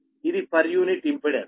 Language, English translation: Telugu, this is the per unit impedance